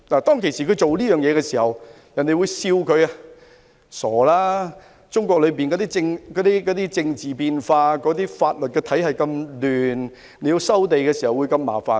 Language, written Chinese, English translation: Cantonese, 當時他做這件事，遭人取笑，指中國經常出現政治變化，而且法律體系混亂，收地時會很麻煩。, At that time when he did this he was ridiculed by other people who claimed that given the capricious political changes and confusing legal system in China there would be great trouble in land resumption